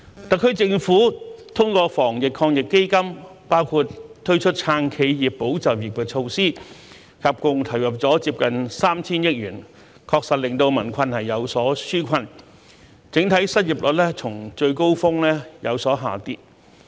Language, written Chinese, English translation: Cantonese, 特區政府通過防疫抗疫基金，包括推出"撐企業、保就業"的措施，合共投入接近 3,000 億元，確實令民困有所紓解，整體失業率較最高峰時有所下跌。, The SAR Government has committed nearly 300 billion through the Anti - epidemic Fund including the measures to support enterprises and safeguard jobs which has indeed relieved peoples hardship and lowered the overall unemployment rate from its peak